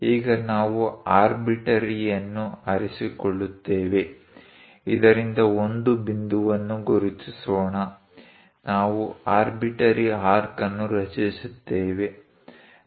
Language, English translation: Kannada, Now, we are going to pick an arbitrary; let us mark a point from this, we are going to construct an arbitrary arc